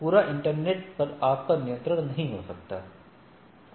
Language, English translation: Hindi, You may not have control over whole internet working as such